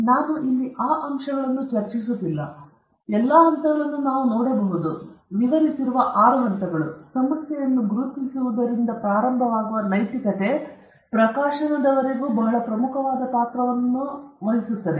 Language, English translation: Kannada, I am not discussing those aspects here, but we could see that all the steps the six steps described here or narrated here we can see that ethics plays a very important role, starting from identifying the problem till publishing